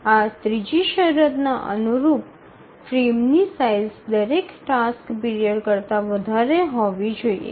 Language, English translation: Gujarati, A corollary of this third condition is that the frame size has to be greater than every task period